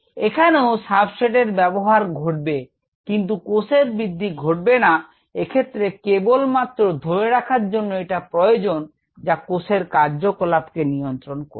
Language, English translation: Bengali, there will be substrate consumption were it doesnt show up as growth, which means everything is going to maintain the cell, maintain the activities of the cell